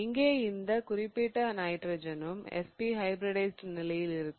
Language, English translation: Tamil, So, this particular carbon will be SP hybridized